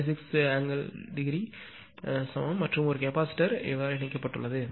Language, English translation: Tamil, 56 degree per same same impedance and a capacitor is connected